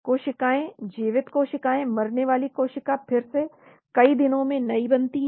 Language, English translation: Hindi, Cells living cells, dying cell again getting regenerated in days